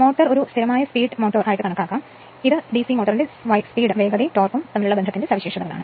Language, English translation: Malayalam, The motor can be considered as a constant speed motor, this is a speed torque characteristics of DC motor right